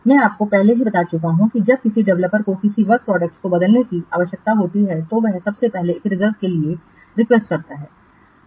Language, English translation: Hindi, I have already told you that when a developer needs to change a work product, he first makes a reserve request